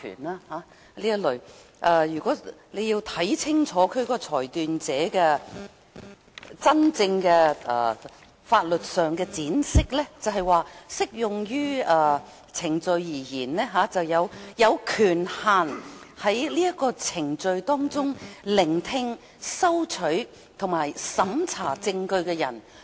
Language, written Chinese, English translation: Cantonese, 大家要看清楚"裁斷者"在法律上真正的闡釋，便是"就適用程序而言，指具有權限在該程序中聆聽、收取和審查證據的人。, We must examine clearly the legal interpretation of a decision maker . In the Bill a decision maker in relation to applicable proceedings means the person having the authority to hear receive and examine evidence in the proceedings